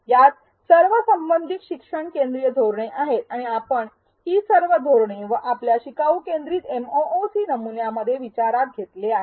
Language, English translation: Marathi, All of these are relevant learner centric strategies and we have packaged all of these strategies and more into our learner centric MOOC model